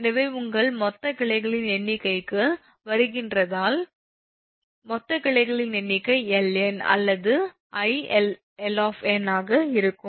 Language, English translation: Tamil, if it is coming to your total number of branches, say total number of branches, ln, it will be your, your ah, i ln